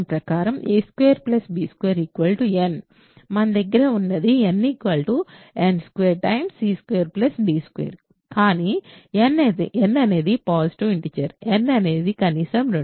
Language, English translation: Telugu, So, what we have is n equals n squared time c squared plus d squared, but n is a positive integer in fact, n is at least 2